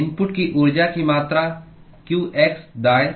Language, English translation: Hindi, the amount of heat that is input is qx (right